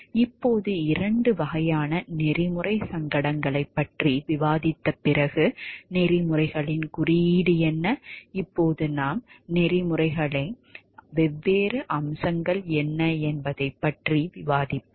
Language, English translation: Tamil, Now, when we have discussed about the two types of ethical dilemmas and, what the code of ethics is then and, now we will proceed to discussion of like the what are the different aspects of a code of ethics